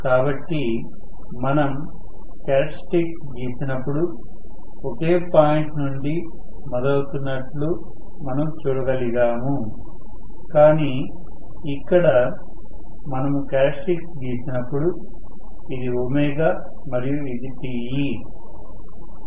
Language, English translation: Telugu, It did not change, so, we could see that it was starting from the same point when we drew the characteristics, but here, when we draw the characteristics, I say this is omega, and this is Te